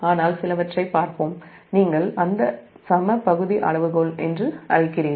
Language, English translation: Tamil, but we will see some so that your what you call that equal area criterion